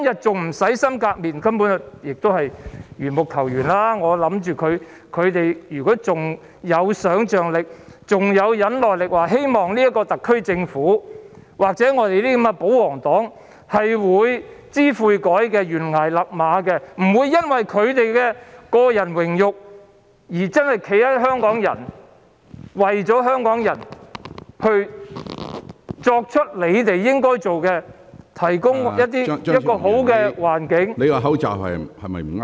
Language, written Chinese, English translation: Cantonese, 這根本就是緣木求魚，如果大家仍然有想象力和忍耐力，希望特區政府官員或保皇黨會知悔改，懸崖勒馬，不會因為他們的個人榮辱而站在香港人的一方，為香港人做應該做的事，提供好的環境......, If people still have the imagination and patience and hope that the SAR government officials or the loyalists will repent and pull back before it is too late and will regardless of their personal reputation stand at the side of Hong Kong people do the right thing for Hong Kong people and provide a desirable environment